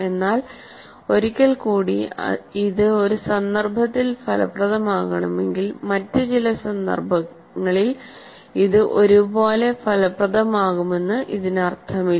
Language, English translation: Malayalam, But once again, if it is effective in a particular instance doesn't mean that it will be equally effective in some other context